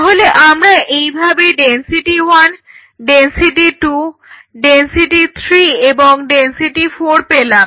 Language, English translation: Bengali, So, then I get density one density two density 3 and density 4